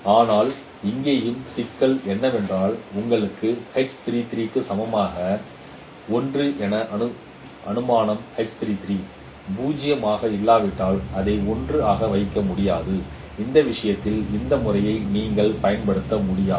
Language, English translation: Tamil, But here also the problem is that that your assumption of H33 equals 1 may not hold because if H 3 3 is 0 then you simply cannot put it as 1 and you cannot apply this method in that case